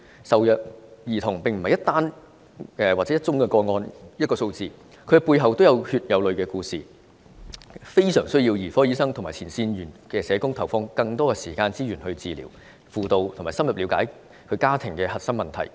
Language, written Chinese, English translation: Cantonese, 受虐兒童並非一宗個案或一個數字，他們的背後均是有血有淚的故事，非常需要兒科醫生和前線社工投放更多的時間和資源來治療、輔導和深入了解其家庭的核心問題。, Child abuse victims do not simply mean an abuse case or a figure; a lot of stories of blood and tears are hidden behind them . They badly need paediatric doctors and frontline social workers to spend more time to heal them to guide them and to have a deeper understanding of the core problem of their families